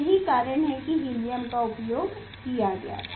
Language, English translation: Hindi, that is why we have used helium